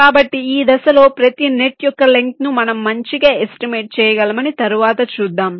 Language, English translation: Telugu, so we shall see later that at this stage we can make a good estimate of the length of every net